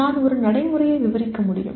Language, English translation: Tamil, I can describe a procedure